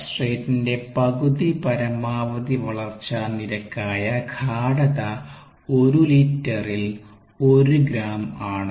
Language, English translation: Malayalam, the substrate concentration that corresponds to the half maximal growth rate is one gram per liter